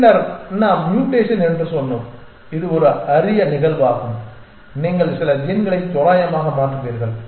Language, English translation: Tamil, And then we had said mutation which is kind of a rare event once in a while you change some gene randomly essentially